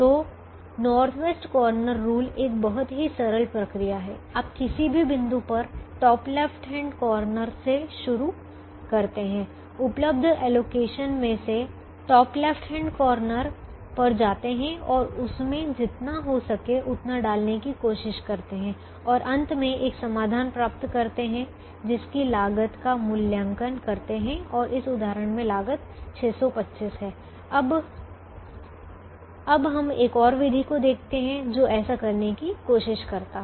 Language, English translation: Hindi, you start with the top left hand corner at any point out of the available allocations, go to the top left hand corner and try to put as much as you can in that and you'll finally get a solution and evaluate the cost of it, and in this example the cost is six hundred and twenty five